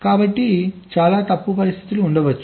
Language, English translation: Telugu, so many faulty situations can be there right